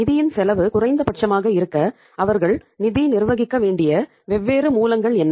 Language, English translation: Tamil, What are the different sources they should manage the funds from so that the cost of funds becomes minimum